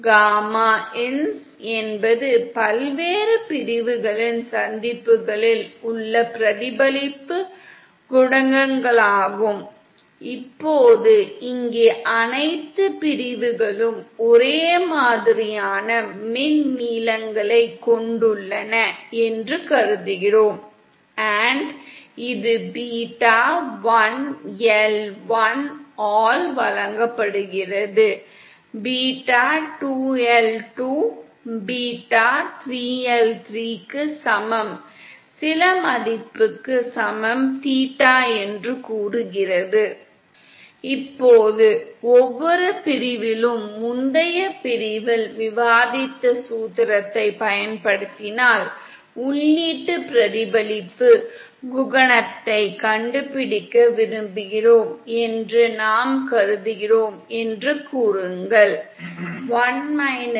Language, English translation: Tamil, Gamma ins are the reflections coefficients at the junctions of the various sections, now here we assume that all the sections have identical electrical lengths & this is given by beta1L1 is equal to beta2L2 is equal to beta 3L3 equal to some value say theta